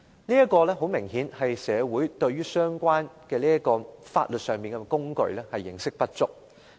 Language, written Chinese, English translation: Cantonese, 這顯然是社會對相關的法律工具認識不足。, Obviously this is indicative of a lack of understanding of this legal instrument in society